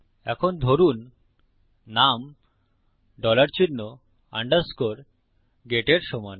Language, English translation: Bengali, Now, let say name is equal to dollar sign, underscore, get